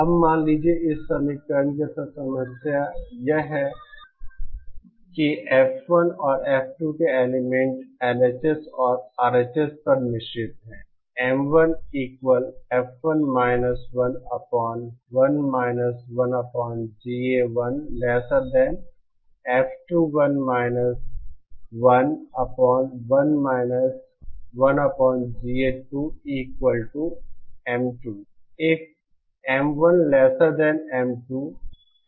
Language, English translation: Hindi, Now suppose, the problem with this equation is this has elements of F1 and F2 are mixed on the LHS and RHS